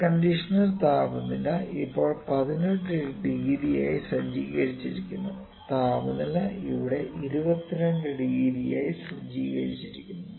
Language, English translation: Malayalam, Air conditioner temperature is set to 18 degrees now here, temperature is set into 22 degrees here